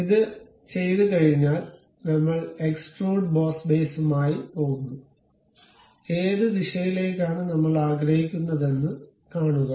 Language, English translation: Malayalam, Once it is done, we go with extrude boss base, see in which direction we would like to have